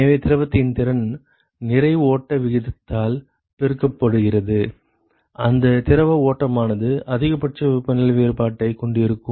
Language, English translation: Tamil, So, the capacity of the fluid multiplied by the mass flow rate whichever is minimum that fluid stream is the one which will likely to have a maximal temperature difference